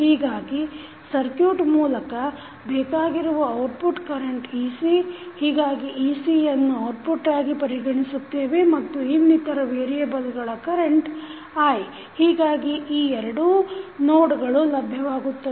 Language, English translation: Kannada, So, the output which is required from the particular circuit is ec, so ec we consider as an output also and then the other variable which we have is current i, so, we have got these two nodes